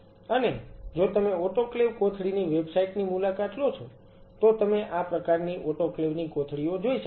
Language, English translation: Gujarati, And if you visit websites of autoclave bags autoclave bags, you can see these kind of autoclave bags